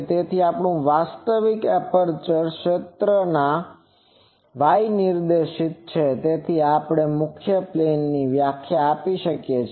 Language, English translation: Gujarati, So, since our actual aperture field is y directed; so, we can define the principal planes